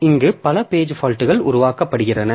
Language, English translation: Tamil, So, these many page faults will be generated